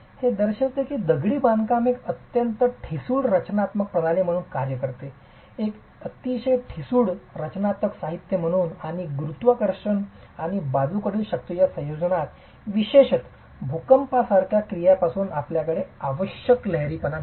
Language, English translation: Marathi, This demonstrates that masonry behaves as a very brittle structural system as a very brittle structural material and under the combination of gravity and lateral forces you do not have the necessary ductility particularly under actions like earthquakes